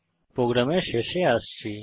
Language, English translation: Bengali, Coming to the end of the program